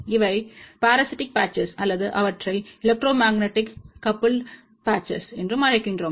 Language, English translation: Tamil, These are the parasitic patches or we also call them electromagnetically coupled patches